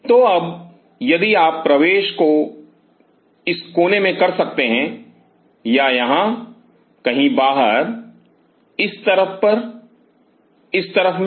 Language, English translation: Hindi, You can make in the corner or somewhere out here on this side in this side